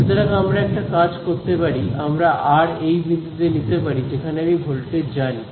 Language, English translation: Bengali, So, let us what we can do is we can choose this r to be at a point where I know the voltage